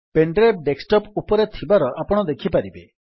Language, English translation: Odia, Here you can see that your pen drive is present on the desktop